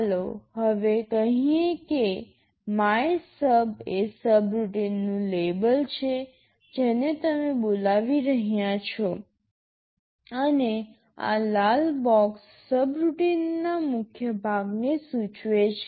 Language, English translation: Gujarati, Let us say MYSUB is the label of the subroutine you are calling and this red box indicates the body of the subroutine